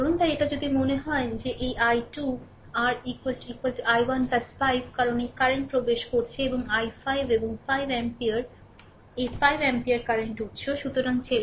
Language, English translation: Bengali, So, this; if you if you think that this i 2 this i 2 your is equal to is equal to i 1 plus 5 because this current is entering and i 1 and 5 ampere this 5 ampere current source